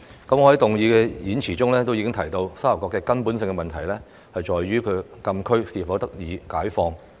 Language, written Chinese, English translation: Cantonese, 我在動議議案時的演辭中已經提到，沙頭角的根本問題在於其所在的禁區是否得以開放。, In my speech for moving the motion I have already mentioned that the fundamental problem of STK lies in whether the restriction of the frontier closed area where it is located can be relaxed